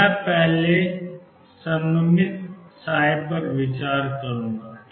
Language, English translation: Hindi, So, I will first consider symmetric psi